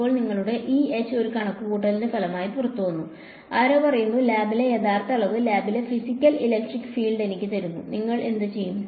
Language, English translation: Malayalam, Now you have got your e and h has come out as a result of a calculation and someone says now give me the actual quantity in lab, the physical electric field in lab, what would you do